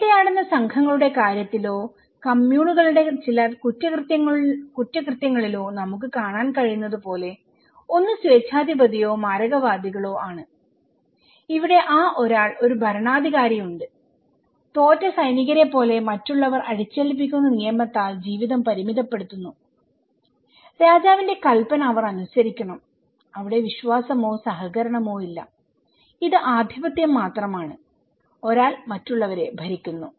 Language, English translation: Malayalam, Like we can see in case of hunter gathering bands or some crimes of communes and another one is the authoritarian or fatalists, here is that somebody there is a ruler, life is constrained by rule imposed by other like defeated soldiers okay, they have to follow the order of the king and there is no trust or cooperations, this is just dominating, one person is dominating others, okay